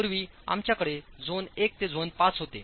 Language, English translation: Marathi, Earlier we had zone 1 to zone 5